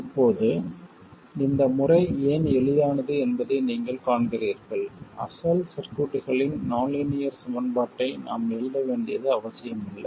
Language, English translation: Tamil, Now you see why this method is easier, we don't even need to write the nonlinear equations of the original circuit